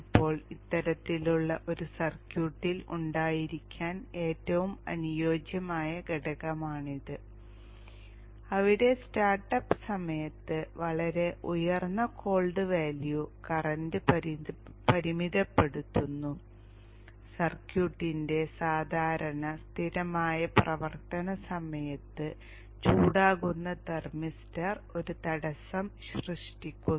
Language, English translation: Malayalam, 5 oms now this is a significant drop now this is a very ideal component to have in this kind of a circuit where during the start up the cold value is very high limits the current and during the normal steady operation of the circuit the thermister which would have become hot imposes impedance of around 0